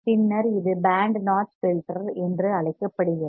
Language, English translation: Tamil, Then it is called band notch filter